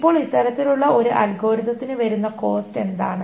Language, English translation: Malayalam, Now what is the cost for this kind of an algorithm